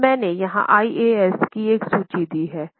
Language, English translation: Hindi, Now I have given here a list of IAS